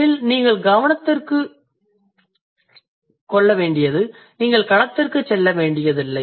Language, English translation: Tamil, You don't have to go to the field in that sense